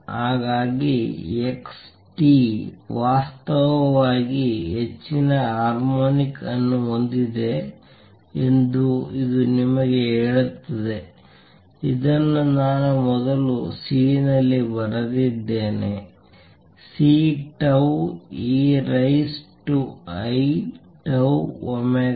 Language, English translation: Kannada, So, this is what tells you that x t actually has higher harmonic, also which I wrote earlier C; C tau e raise to i tau omega